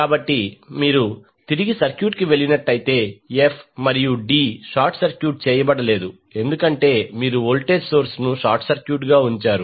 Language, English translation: Telugu, So, if you go back to the circuit f and d are not short circuited because you have put voltage source as a short circuit